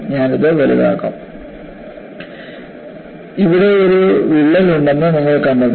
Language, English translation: Malayalam, I would enlarge this and you find there is a crack here